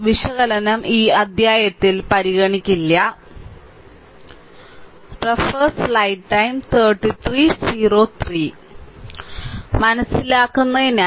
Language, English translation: Malayalam, So, analysis that will not be consider in this chapter right